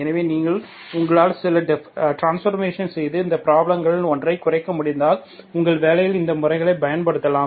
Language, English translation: Tamil, So for this if you, if you can do some transformation and reduced to one of these problems, you can make use of these methods in your in your work